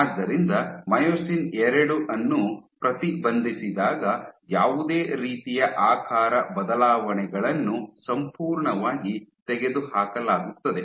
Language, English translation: Kannada, So, when you inhibit myosin two any kind of shape changes is completely eliminated